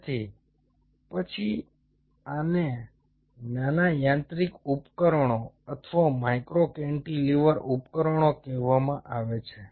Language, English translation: Gujarati, so then these are called a small mechanical devices or micro cantilever devices